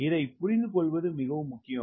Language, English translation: Tamil, ok, this is very, very important to understand